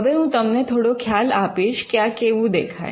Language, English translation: Gujarati, Now to give you an overview of how this looks